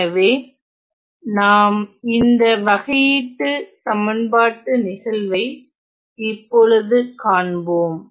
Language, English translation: Tamil, So, then let us look at case of this is the case of a differential equation now